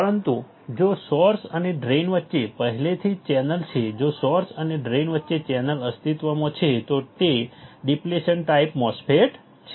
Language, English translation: Gujarati, But if there is already existing channel between the source and drain, if there is a channel existing between source and drain then it is a depletion type MOSFET